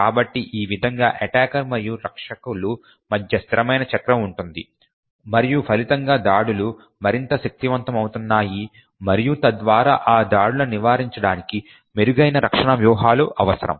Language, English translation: Telugu, So, in this way there is a constant cycle between the attackers and defenders and as a result the attacks are getting more and more powerful and thereby better defend strategies are required to prevent these attacks